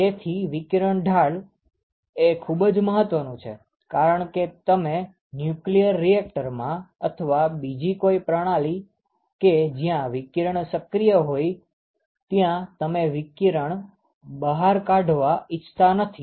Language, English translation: Gujarati, So, anyway the radiation shield is actually very important because, you do not want radiation to be to leak out from a nuclear reactor or, some other system where radiation is active